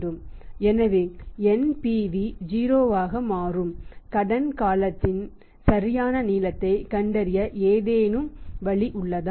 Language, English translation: Tamil, So, is there any mechanism to find out the exact length of the credit period at which the NPV becomes 0